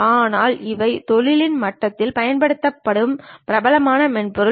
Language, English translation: Tamil, But these are the popular softwares used at industry level